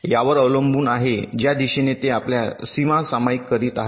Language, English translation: Marathi, ok, depending on the direction where they are sharing their boundaries